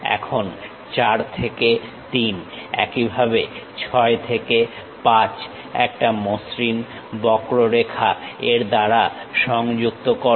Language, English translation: Bengali, Now, join 4 to 3 by a smooth curve, similarly 6 to 5 by a smooth curve